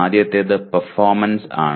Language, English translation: Malayalam, One is, first one is performance